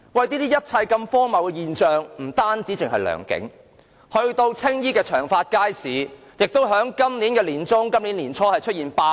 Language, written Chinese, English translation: Cantonese, 這一切荒謬的現象不止發生在良景邨，青衣長發街市也在今年年初出現罷市。, This outrageous phenomenon did not only occur in Leung King Estate for traders in Tsing Yis Cheung Fat Estate Market also went on strike early this year